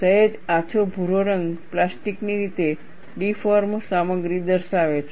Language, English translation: Gujarati, The slight light brown color, shows a material plastically deformed